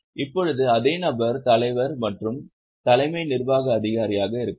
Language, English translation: Tamil, Now same person may be chairman and CEO